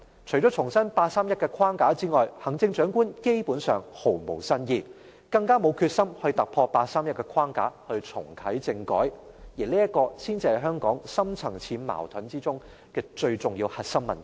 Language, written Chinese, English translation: Cantonese, 除了重申八三一框架外，行政長官基本上毫無新意，更沒有決心突破八三一框架，重啟政改，而這才是香港深層次矛盾中最重要的核心問題。, Apart from reiterating the framework of the 31 August Decision the Chief Executive basically has no new ideas . There is not even any sign of her determination to break through the framework of the 31 August Decision and to reactivate constitutional reform and that is the core problem of utmost importance among the deep - rooted conflicts in Hong Kong